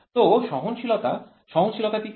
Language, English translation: Bengali, So, tolerance what is tolerance